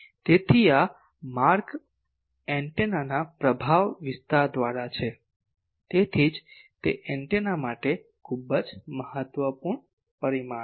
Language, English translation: Gujarati, So, this route is through the effect area of the antenna that is why, it is a very important parameter for the antenna